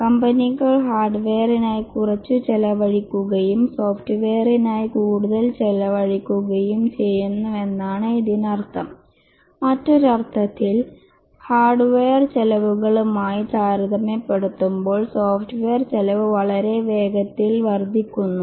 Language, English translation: Malayalam, What it means is that companies are spending less on hardware and more on software or in other words, software costs are increasing very rapidly compared to hardware costs